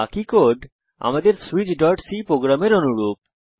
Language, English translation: Bengali, Rest of the code is similar to our switch.c program Let us execute